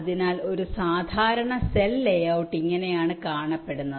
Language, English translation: Malayalam, so this is how a standard cell layout works